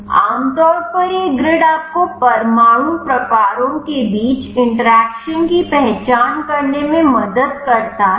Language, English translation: Hindi, Usually this grid helps you to identify the interactions between the atom types